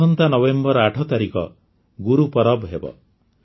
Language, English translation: Odia, My dear countrymen, the 8th of November is Gurupurab